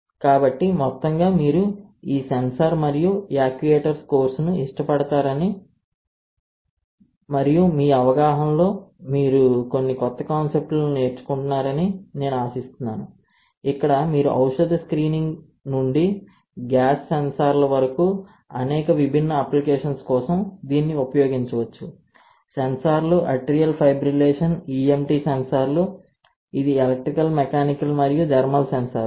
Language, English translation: Telugu, So, I hope that overall you like this sensor and actuators course and you are getting some new concepts into your understanding, right, where you can use it for several different applications starting from drug screening to gas sensors to sensors, atrial fibrillation, EMT sensors, which is electrical mechanical and thermal sensors, right